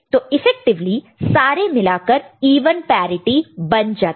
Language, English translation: Hindi, So, effectively all of them become even parity, right